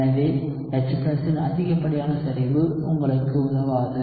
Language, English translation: Tamil, So having an excess concentration of H+ will not help you